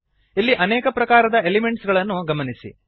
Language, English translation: Kannada, Notice the various elements here